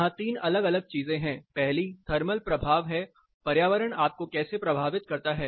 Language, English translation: Hindi, Here there are 3 different things first is the thermal effect; how do the environment affects you